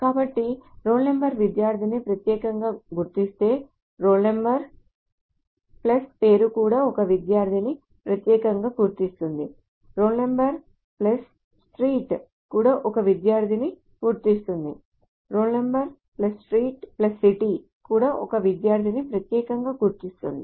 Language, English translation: Telugu, So if role number uniquely identifies a student, role number plus name will also uniquely identify a student, role number plus street will also identify a student, role number plus street plus city will also uniquely identify a student